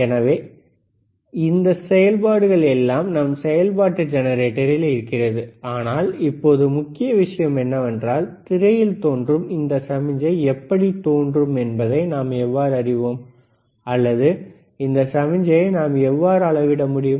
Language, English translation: Tamil, So, so, we have this functions in the function generator, but now the main point is, how we know that this is the signal appearing or how we can measure the signal now